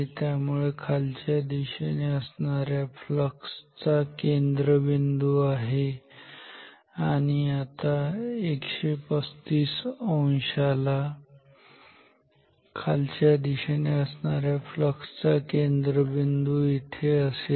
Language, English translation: Marathi, So, this is the center of the downwards flux and now at 135 degree the center of the downwards flux is here